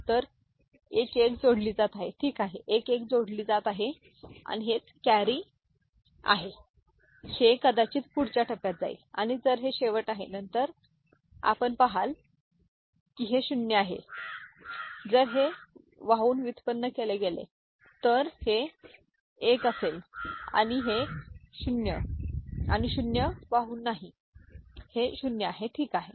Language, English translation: Marathi, So, 1 1 is getting added, ok, 1 1 is getting added and this is the carry which might go to the next stage and if it is the end of it then you see this is 0, this is if carry is generated this will be 1 and this is 0 and this is 0 carry is not there this is 0, ok